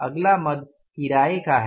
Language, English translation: Hindi, Next head is rent